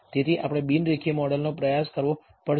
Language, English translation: Gujarati, So, we have to try and t a non linear model